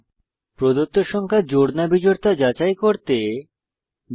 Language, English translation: Bengali, * Write a java program to check whether the given number is even or odd